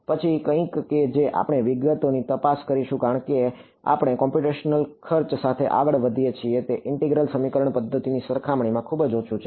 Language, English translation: Gujarati, Then something that we will look into details I will as we go along the computational cost is very very low compared to integral equation methods